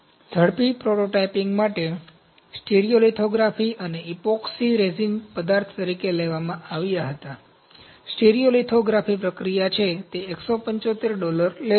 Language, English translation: Gujarati, For rapid prototyping, stereolithography and epoxy resin was taken as materials, stereo lithography is the process, it tooks 175 dollars